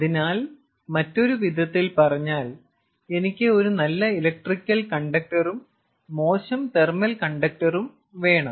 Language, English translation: Malayalam, so how can you have a good electrical conductor and a bad thermal conductor